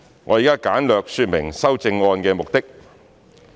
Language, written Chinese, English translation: Cantonese, 我現在簡略說明修正案的目的。, I will now briefly explain the purposes of the amendments